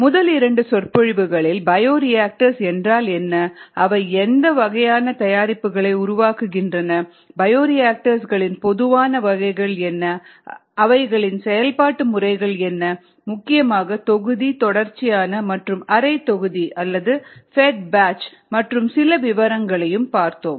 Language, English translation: Tamil, in the first two lectures we got introduced to what bioreactors where, what kind of products they make, what are the common types of bioreactors that i used, what are the modes of operation predominantly batch, continuous and semi batch or fed batch